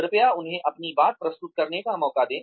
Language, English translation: Hindi, Please give them a chance to present their point of view also